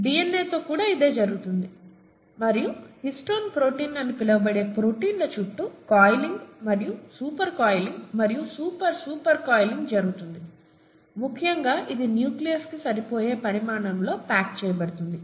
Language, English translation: Telugu, That’s pretty much what happens with DNA too and the coiling and super coiling and super super super coiling around proteins which are called histone proteins, essentially results in it being packaged into a size that can fit into the nucleus